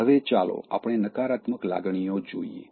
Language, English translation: Gujarati, Having said this, let us look at the negative emotions